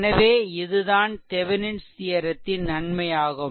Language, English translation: Tamil, So, that is the advantage of Thevenin’s theorem